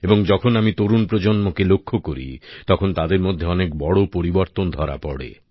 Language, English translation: Bengali, And when we cast a keen glance at the young generation, we notice a sweeping change there